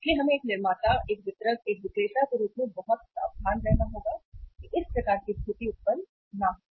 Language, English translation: Hindi, So we have to be very careful as a manufacturer, as a distributor, as a seller that this type of situation does not arise